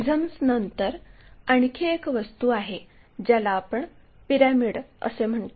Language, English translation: Marathi, After prisms there is another object what we call pyramids